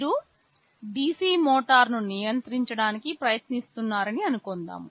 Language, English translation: Telugu, Suppose you are trying to control a DC motor